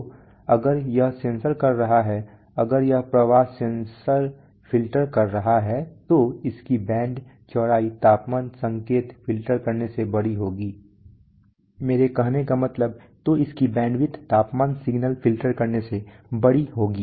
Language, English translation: Hindi, So if it is censoring, if it is filtering a flow sensor its band width will be larger than if it is filtering a temperature signal